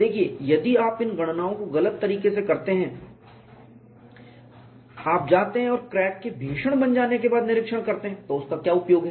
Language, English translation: Hindi, See if you do these calculations wrongly, you go and inspire after the crack has become critical what is use